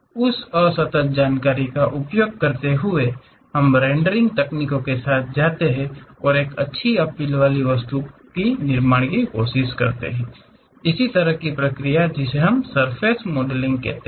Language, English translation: Hindi, Using those discrete information, we go with rendering techniques, try to construct a nice appealed object; that kind of process what we call surface modelling